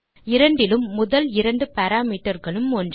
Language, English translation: Tamil, The first two parameters are same in both the cases